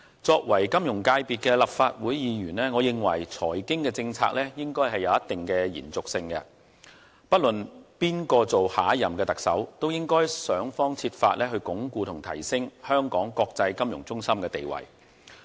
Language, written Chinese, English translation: Cantonese, 作為金融組別的立法會議員，我認為財經政策應該有一定的延續性，不論誰當選下屆特首，都應該設法鞏固和提升香港國際金融中心的地位。, As a Member representing the finance functional constituency I consider that the continuity of financial and economic policies should be maintained . No matter who is elected the next Chief Executive he or she should seek to enhance and improve the status of Hong Kong as an international financial centre